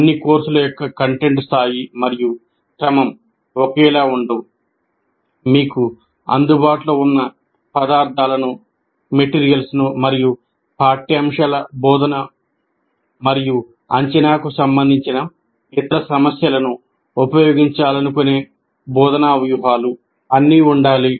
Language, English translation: Telugu, And content of all courses are not the same, content level and sequencing, teaching strategies that you want to use, the materials that are available to you, and other issues related to curriculum, instruction and assessment